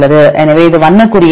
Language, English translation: Tamil, So, it is the color code is nine